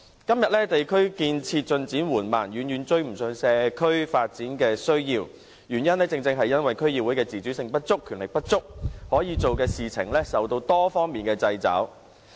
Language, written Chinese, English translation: Cantonese, 今天，地區建設進展緩慢，遠遠無法追上社區發展的需要，這正正因為區議會的自主性不足、權力不足，可做的事受到多方面的掣肘。, Nowadays the development of our districts is so slow that it cannot catch up with the needs of community development because DCs have neither full autonomy nor sufficient powers and are subject to a number of constraints in tasks they can undertake